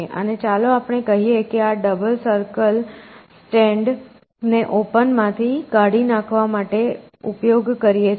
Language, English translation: Gujarati, And let us say that, this double circle stand for deleting it from open